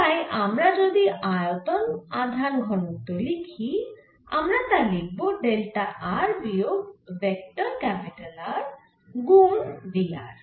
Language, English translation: Bengali, so if we write the volume charge density, volume, current density will like this as delta r minus delta into v r